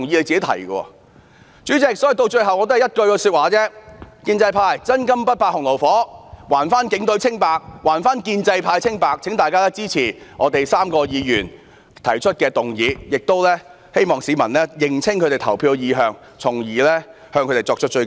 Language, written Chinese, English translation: Cantonese, 主席，說到最後我只有一句說話，建制派若"真金不怕洪爐火"，便應還警隊清白、還建制派清白，請大家支持我們3位議員提出的議案，並懇請市民認清他們的投票意向，從而向他們作出追究。, President here comes my brief conclusion . If pro - establishment Members are persons of integrity who can stand severe tests they should do justice to the Police and themselves by supporting our three motions . Members of the public should also pay attention to how the pro - establishment Members are going to vote in order to hold them accountable